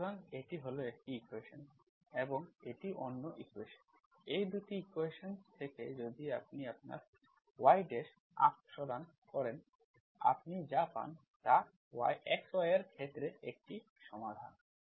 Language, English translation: Bengali, So this is, this one equation, given equation and this is another equation, these 2 equations if you, from this if you remove your y dash, what you get is a solution in terms of xy